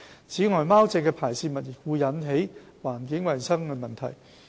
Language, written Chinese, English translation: Cantonese, 此外，貓隻的排泄物亦會引致環境衞生問題。, Besides excreta of cats would also cause environmental hygiene problem